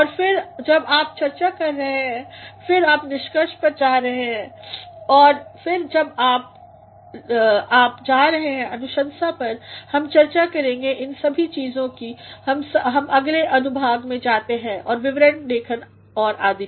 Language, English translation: Hindi, And then you are discussing and then you are going to the conclusion and then you are going to the recommendation we shall discuss these things when we go to the section and report writing and all